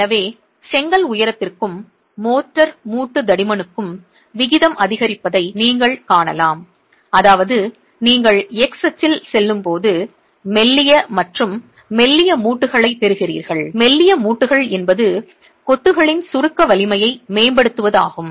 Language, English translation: Tamil, So, you can see that with the ratio of the brick height to the motor joint thickness increasing, which means you are getting thinner and thinner joints as you go along the x axis